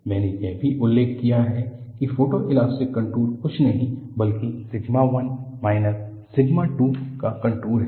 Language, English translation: Hindi, I also mentioned, photoelastic contours are nothing but contours are sigma 1 minus sigma 2